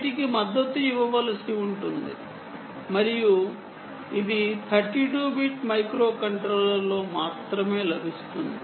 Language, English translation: Telugu, mac will have to be supported, therefore, and that is available only mostly in thirty two bit microcontroller